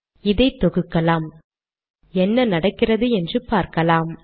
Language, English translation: Tamil, Lets compile this and see what happens